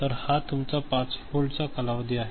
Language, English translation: Marathi, So, this is your span of 5 volt ok